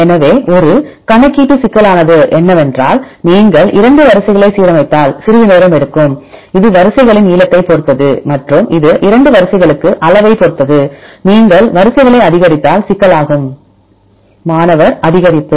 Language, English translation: Tamil, So, what is a computational complexity right because if you align 2 sequences it takes some time which depends upon the length of the sequences right depend of the length of the sequence it will depend on this size for 2 sequences, if you increase the sequences the complexity will; Increase